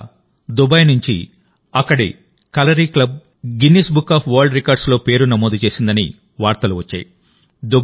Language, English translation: Telugu, Recently news came in from Dubai that the Kalari club there has registered its name in the Guinness Book of World Records